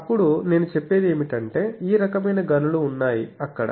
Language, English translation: Telugu, Then what I say that these type of mines are there